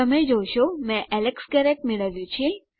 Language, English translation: Gujarati, You can see that I have got Alex Garret